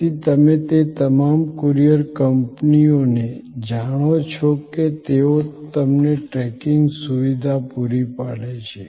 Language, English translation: Gujarati, So, that is you know all courier companies they providing you tracking facility